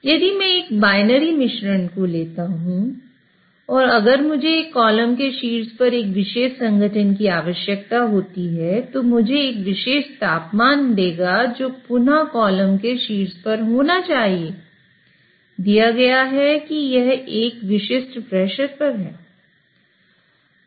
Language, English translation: Hindi, So if I take a binary mixture, if I need a particular composition at the top of the column that will give me a particular temperature which should be at the top of the column, again given the fact that it is at a particular pressure